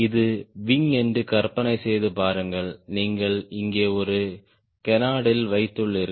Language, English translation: Tamil, imagine this is the wing and you have put a canard here